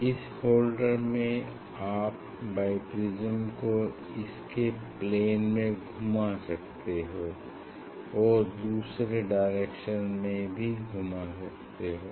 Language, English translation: Hindi, in this holder you can rotate the bi prism on it is plane as well as also you can rotate this bi prism you can rotate bi prism this way also